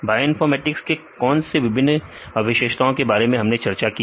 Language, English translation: Hindi, What are the various features of bioinformatics we discussed